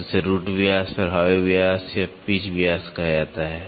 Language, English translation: Hindi, So, this is called the roots diameter, effective diameter or the pitch diameter